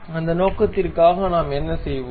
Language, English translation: Tamil, For that purpose what we will do